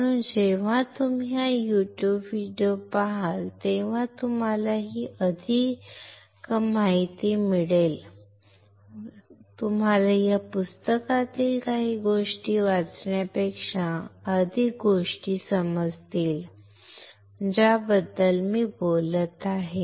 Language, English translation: Marathi, So, when you watch this YouTube video along with that you will hear the information right you will understand more things rather than rather than reading something from the book this particular process I am talking about, all right